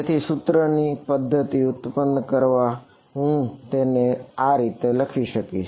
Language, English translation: Gujarati, So, to generate the system of equations what will I what can I write it